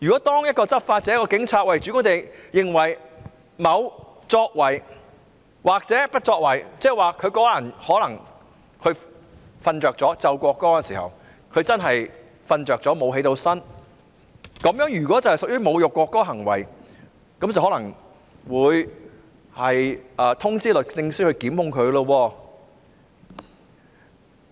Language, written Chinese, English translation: Cantonese, 當一位執法者或警員主觀地認為某作為或不作為屬侮辱國歌行為，例如某人可能在奏唱國歌時睡着了，沒有醒過來，如果這屬於侮辱國歌的行為，便可能會通知律政司檢控他。, When a law enforcement officer or a policeman subjectively thinks that a certain act or omission is insulting the national anthem say when a person falls asleep and does not wake up while the national anthem is played and sung and if such a behaviour is considered to be insulting the national anthem this may be brought to the attention of the Department of Justice which may then institute prosecution against this person